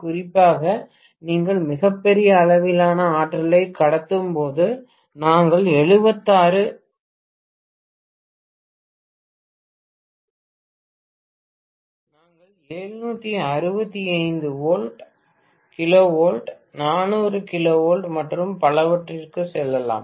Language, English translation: Tamil, Especially, when you are transmitting a very large capacity of power, we may go as high as 765 KV, 400 KV and so on